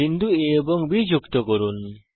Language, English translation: Bengali, Join points A, D and A, E